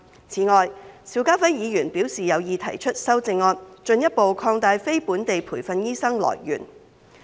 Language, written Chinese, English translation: Cantonese, 此外，邵家輝議員表示有意提出修正案，進一步擴大非本地培訓醫生來源。, In addition Mr SHIU Ka - fai has indicated his wish to propose amendments to further widen the pool of NLTDs